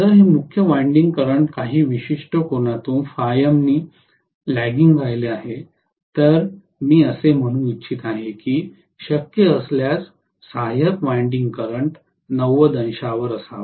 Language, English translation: Marathi, If I am going to have this as the main winding current which is lagging behind by certain angle let us say phi M, I would like the auxiliary winding current to exactly be at 90 degrees if it is possible